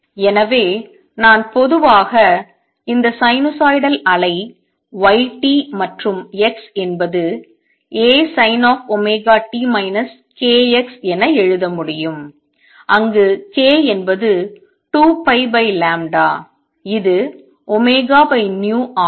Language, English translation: Tamil, So, I can in general write that is sinusoidal wave y t and x is A sin omega t minus k x where k is 2 pi over lambda which is omega over v